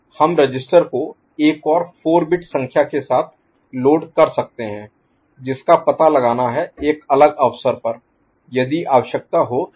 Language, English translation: Hindi, We can load the register with another 4 bit number which will be detected for a different occasion if so required